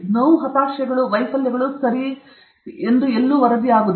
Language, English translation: Kannada, The pain, frustrations, and failures, are not reported okay